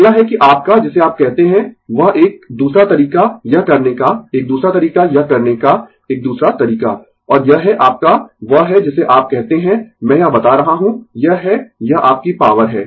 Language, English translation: Hindi, Next is that your what you call that another way another way of doing it another way of doing this, and this is your what you call I am telling this, this is your this is your power right